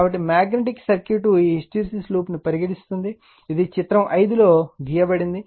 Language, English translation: Telugu, So, magnetic you will see this a your what you call hysteresis loop suppose, this is in figure 5, it has been drawn